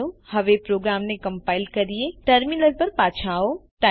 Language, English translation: Gujarati, Let us now compile the program, come back to a terminal